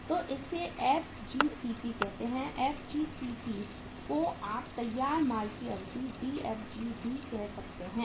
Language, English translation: Hindi, So it called as the FGCP, FGCP or you can call it as the Dfg duration of the finished goods